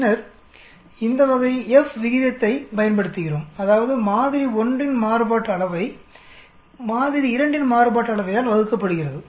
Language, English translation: Tamil, Then we use this type of F ratio that means variance of 1 sample divided by the variance of the sample 2